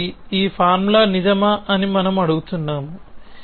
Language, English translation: Telugu, So, the goal is we asking whether this formula is true